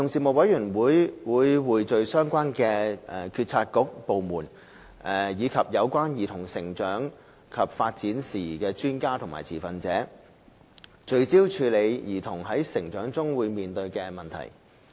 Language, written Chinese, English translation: Cantonese, 委員會匯聚相關政策局/部門，以及有關兒童成長及發展事宜的專家和持份者，聚焦處理兒童在成長中面對的問題。, Amalgamating the efforts made by the relevant bureauxdepartments as well as those of experts and stakeholders involved in matters concerning childrens growth and development the Commission focuses on addressing childrens issues as they grow